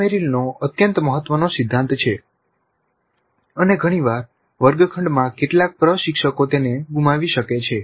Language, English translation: Gujarati, This is an extremely important principle of Merrill and quite often in the classroom scenario some of the instructors may be missing it